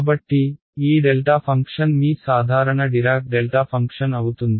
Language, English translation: Telugu, So, this delta function is your the your usual Dirac delta function right